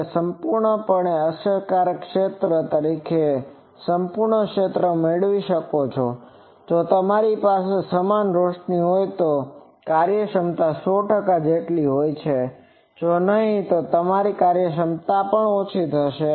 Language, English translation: Gujarati, You can get the full area as the full effective area that efficiency to be 100 percent if you have uniform illumination; if not, then you will have to have a reduced efficiency